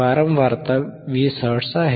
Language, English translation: Marathi, The frequency is 20 hertz